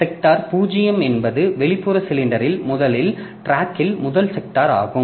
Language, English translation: Tamil, So, sector 0 is the first sector of the first track on the outermost cylinder